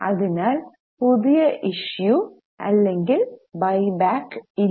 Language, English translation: Malayalam, So, no new issue or buyback of shares